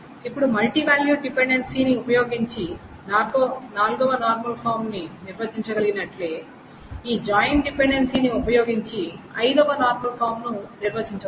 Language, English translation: Telugu, Now just as we could define a fourth normal form using the multivalue dependency, we can define what is known as the fifth normal form using this joint dependency